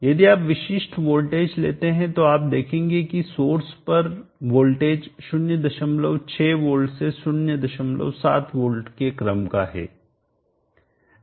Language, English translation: Hindi, If we take typical voltages you will see that the voltage across the source is of the order of 0